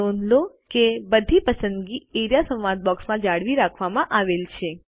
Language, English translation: Gujarati, Notice that all the selection are retained in the Area dialog box